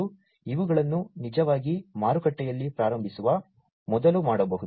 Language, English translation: Kannada, And these could be done before they are actually launched in the market